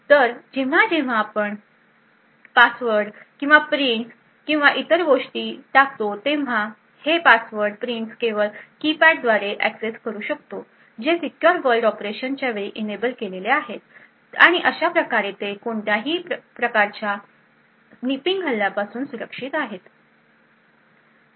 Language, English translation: Marathi, So, this would permit that whenever we enter passwords or prints or anything else so these passwords and prints are only accessible through a keypad which is enabled during the secure world of operation and thus it is also secure from any kind of snipping attacks